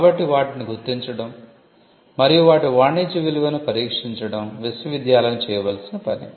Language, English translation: Telugu, So, identifying them and testing the commercial value is something which needs to be done by the university